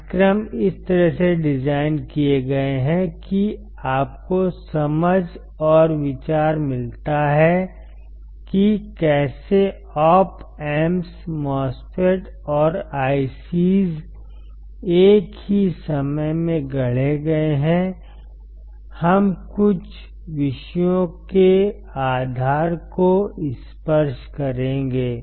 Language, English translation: Hindi, The courses are designed in such a way that, you get the understanding and the idea of how the Op Amps the MOSFETs and IC s are fabricated at the same time, we will touch the base of few of the topics